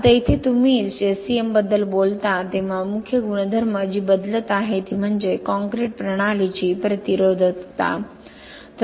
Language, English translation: Marathi, Now here when you talk about SCM the main property which is changing is the resistivity of the concrete system